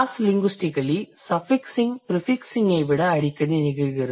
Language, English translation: Tamil, What it says cross linguistically suffixing is more frequent than prefixing